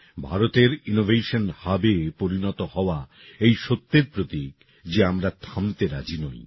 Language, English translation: Bengali, India, becoming an Innovation Hub is a symbol of the fact that we are not going to stop